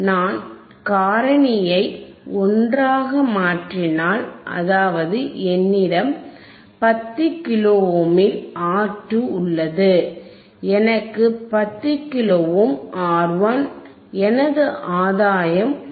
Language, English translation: Tamil, 1, if I make R 2 equals to 10 kilo ohm, 10 kilo ohm by 10 kilo ohm, my gain is 1, if I make R 2 100 kilo ohm , 100 kilo ohm by 10 kilo ohm, my gain becomes 10, right